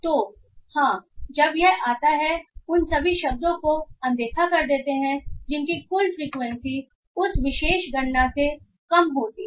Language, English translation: Hindi, So, yeah, so mean count, ignore all those words with the total frequency lower than that particular count